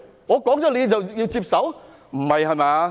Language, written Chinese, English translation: Cantonese, 我說他是，他就要接受嗎？, When I say he has such an identity does he have to accept it?